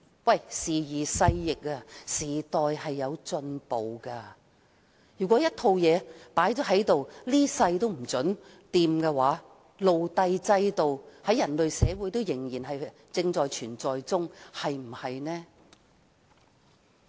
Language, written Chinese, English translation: Cantonese, 可是，時移勢易，時代不斷進步，如果一套制度永遠不能更改，那麼人類社會仍然會有奴隸制度，對嗎？, However things have changed and society has advanced with the passage of time . If a system can never be changed the slavery system will remain in human society right?